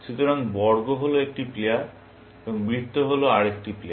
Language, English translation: Bengali, So, square is one player and circle is another player, essentially